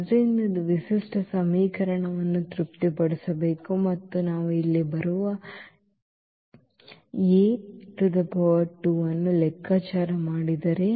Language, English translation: Kannada, So, this should satisfy the characteristic equation and if we compute this A square that is coming to be here